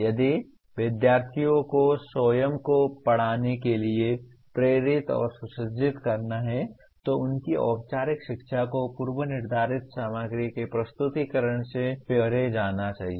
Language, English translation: Hindi, If students are to be motivated and equipped to continue teaching themselves their formal education must go beyond presentation of predetermined content